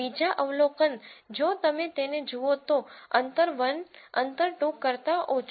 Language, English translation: Gujarati, The second observation again if you look at it distance 1 is less than distance 2